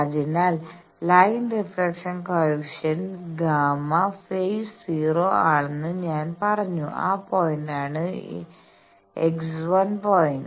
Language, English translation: Malayalam, So, that is what I said that line reflection coefficient gamma x phase is 0 that point I am calling x 1 point